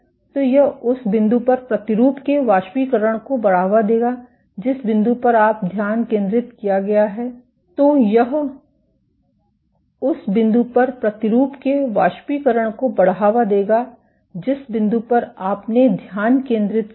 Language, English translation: Hindi, So, this will lead to evaporation of the sample at a single point, at the point where you have focused